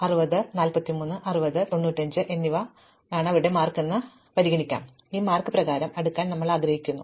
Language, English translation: Malayalam, So, they may be got 60, 43, 60 and 95, now we might want to sort this by marks